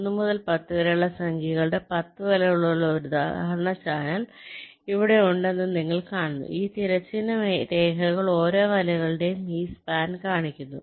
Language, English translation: Malayalam, ok, you see that here we have a example channel with ten nets which are number from one to up to ten, and these horizontal lines show this span of each of the nets